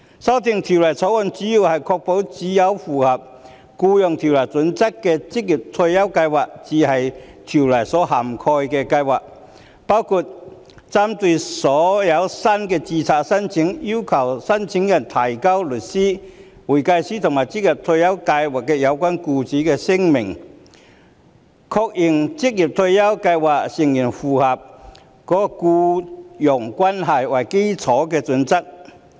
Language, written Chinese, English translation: Cantonese, 修訂《條例草案》的主要目的，是確保只有符合《僱傭條例》準則的職業退休計劃才是《條例》所涵蓋的計劃，包括針對所有新的註冊申請，要求申請人提交律師、會計師和職業退休計劃有關僱主的聲明，確認職業退休計劃成員符合僱傭關係為基礎的準則。, The main purpose of the amendments in the Bill is to ensure that only OR Schemes in compliance with the criterion under the Employment Ordinance are covered in ORSO including the requirements for all new applications for registration that applicants are to submit statements from the solicitor the accountant and the relevant employer of an OR Scheme confirming that the membership of the OR Scheme complies with the employment - based criterion